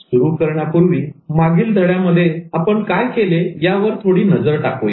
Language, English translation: Marathi, To begin with, let's take a quick look at what we did in the previous lesson